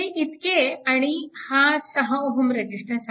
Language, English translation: Marathi, This much and this will be your 6 ohm resistance